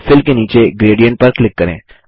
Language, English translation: Hindi, Under Fill, click Gradient